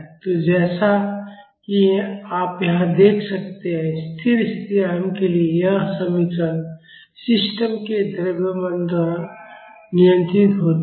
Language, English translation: Hindi, So, as you can see here, this expression for the steady state amplitude is controlled by the mass of the system